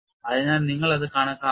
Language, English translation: Malayalam, So, you have to calculate that